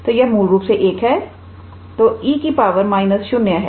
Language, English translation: Hindi, So, this will be basically 1 so, e to the power minus 0